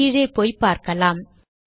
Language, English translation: Tamil, Lets just go down and see